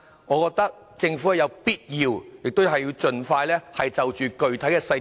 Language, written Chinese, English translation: Cantonese, 我認為政府有必要盡快公布具體細節。, I believe it is necessary for the Government to announce the specific details as soon as possible